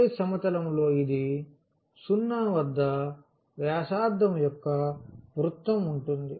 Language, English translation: Telugu, So, in the xy plane this will be a circle of radius a center at 0